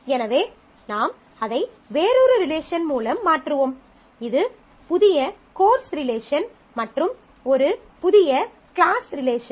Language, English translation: Tamil, So, you will replace it by a one relation; which is say new course relation and a new class relation which is the remaining attributes